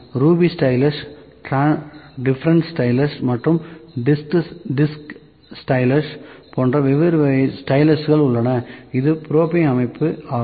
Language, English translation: Tamil, One stylus on this like ruby stylus, then difference stylus and disc stylus, difference styluses are there, this is the probing system